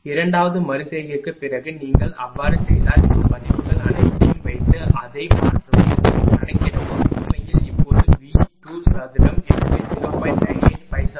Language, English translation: Tamil, After second iteration so put all these values if you do so and substitute and compute it is actually now V 2 square so 0